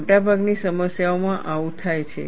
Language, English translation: Gujarati, This happens in most of the problems